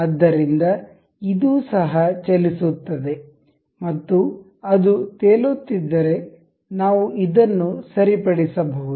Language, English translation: Kannada, So, it will also be moving and in case if it is floating we can fix this